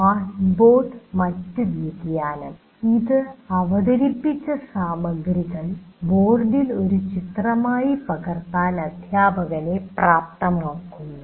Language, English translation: Malayalam, Now coming to the smart board, other variation, it enables the teacher to capture the material present on the board as an image